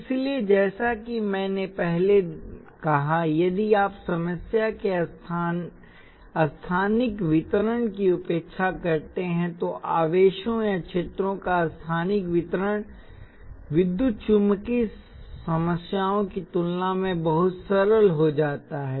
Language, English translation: Hindi, So, like I said earlier, if you ignore the spatial extends of the problem spatial distribution of charges or fields things become immensely simple compared to problems in electromagnetic